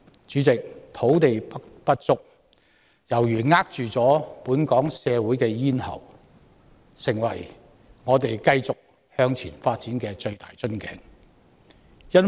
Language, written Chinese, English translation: Cantonese, 主席，土地不足猶如扼住本港社會的咽喉，已成為我們繼續向前發展的最大瓶頸。, President analogous to a problem that strangles Hong Kong society land shortage has become the greatest bottleneck of our advance in development